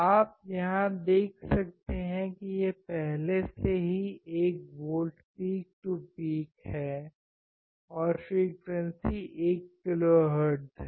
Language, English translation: Hindi, You can see here in the amplitude it is already written 1 volt peak to peak right frequency 1 kilohertz